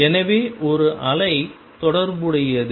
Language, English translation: Tamil, So, there is a wave associated